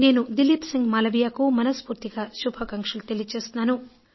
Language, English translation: Telugu, My heartfelt congratulations to Dileep Singh Malviya for his earnest efforts